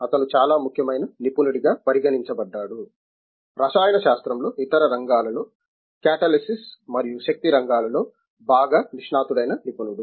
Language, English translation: Telugu, He is considered very important expert, very well accomplished expert in the areas of catalysis and energy amongst other areas in chemistry